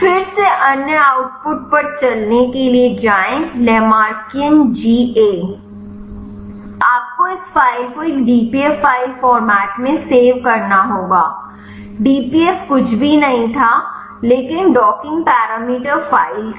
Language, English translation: Hindi, Go to run again other output Lamarckian GA you have to save this file in a dpf file format dpf was nothing, but docking parameter file